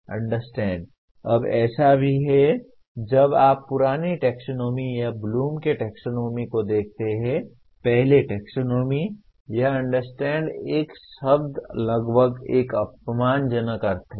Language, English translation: Hindi, Understand, now there is also when you look from the old taxonomy or Bloom’s taxonomy, the first taxonomy, understand is a word is almost has a derogatory meaning